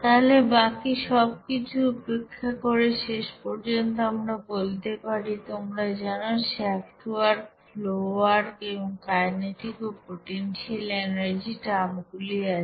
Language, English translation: Bengali, So ultimately we can say that neglecting all other that you know shaft work, flow work and kinetic and potential energy terms there